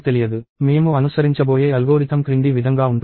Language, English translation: Telugu, So, the algorithm that we are going to follow is as follows